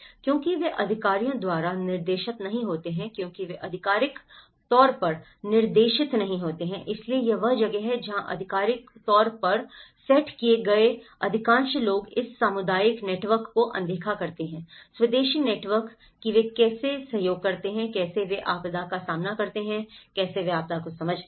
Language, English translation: Hindi, Because they are not directed by the authorities because they are not officially directed, so that is where, most of the official set up overlooks this existing community networks; the indigenous networks, how they cooperate, how they face the disaster, how they understand the disaster